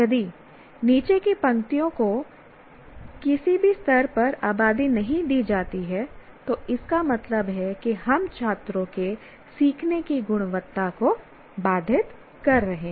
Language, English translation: Hindi, If the rows, the bottom rows are not populated at all at any level, then that means we are constraining the quality of learning of the students